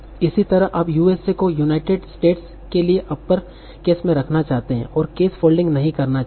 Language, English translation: Hindi, Similarly you might want to keep US for United States in upper case and not do the case folding